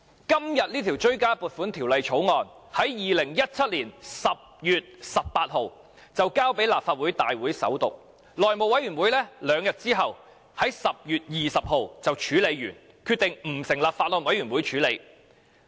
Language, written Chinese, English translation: Cantonese, 今天這項追加撥款條例草案在2017年10月18日已提交立法會大會首讀，內務委員會在兩天後的10月20日已處理完畢，決定不成立法案委員會審議。, This supplementary appropriation Bill under discussion today was introduced into the Legislative Council for First Reading on 18 October 2017 . The House Committee completed its handling of the Bill two days later on 20 October and decided not to set up a Bills Committee on it